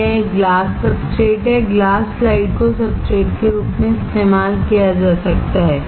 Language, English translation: Hindi, It is a glass substrate, glass slide can be used as a substrate